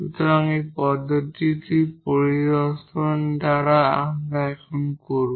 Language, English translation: Bengali, So, this approach would by inspection we will do now